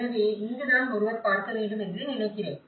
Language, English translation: Tamil, So, I think this is where one has to look at